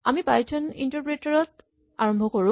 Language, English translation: Assamese, Let us start the Python interpreter